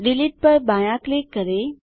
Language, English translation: Hindi, Left click Delete